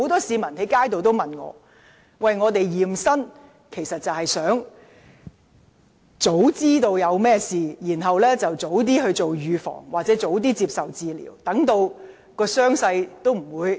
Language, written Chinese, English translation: Cantonese, "驗身"的目的是要及早知道身體有甚麼毛病，然後及早預防或接受治療，以防傷勢惡化。, The purpose of medical examination is to identify problems with our body in advance so that the problems can be prevented or cured in time before deteriorating